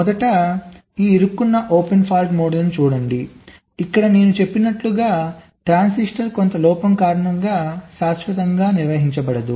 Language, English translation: Telugu, so look at this stuck open fault model first here, as i said, a transistor becomes permanently non conducting because of some fault